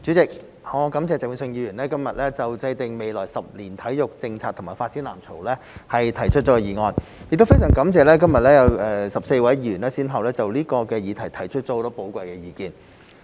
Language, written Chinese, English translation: Cantonese, 主席，我感謝鄭泳舜議員今日就"制訂未來十年體育政策及發展藍圖"提出議案，亦非常感謝今日有14位議員先後就這個議題提出了很多寶貴的意見。, President I would like to thank Mr Vincent CHENG for proposing the motion on Formulating sports policy and development blueprint over the coming decade today . I am also grateful to the 14 Members who spoke today to give their valuable views